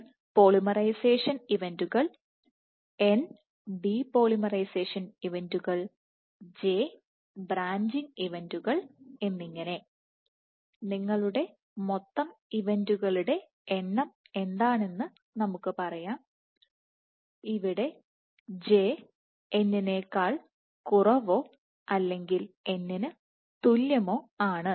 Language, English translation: Malayalam, So, let us say what are the events you have total number of events as n polymerization events, n de polymerization events, and j branching events, where j is less or equal to n where n corresponds